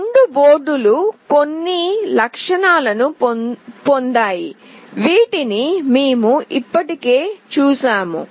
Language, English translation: Telugu, Both the boards has got some features, which we have already seen